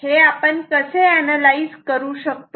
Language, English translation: Marathi, How do you analyze it